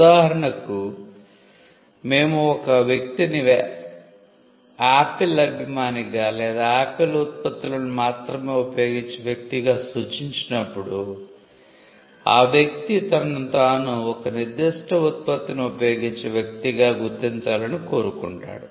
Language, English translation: Telugu, For instance, when we refer to a person as an Apple fan boy or a person who uses only Apple products then, the person wants himself to be identified as a person who uses a particular product